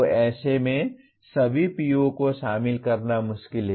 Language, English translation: Hindi, So in such a case it is difficult to include all the POs